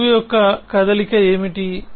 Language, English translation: Telugu, What motion of proof is